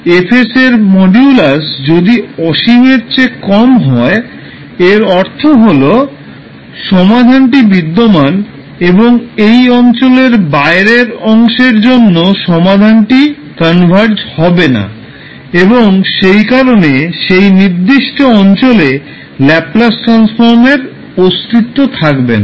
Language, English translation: Bengali, That mod of Fs if it is less than infinity it means that the solution exists and for rest of the section the outside the region the solution will not converge and therefore the Laplace transform will not exist in that particular region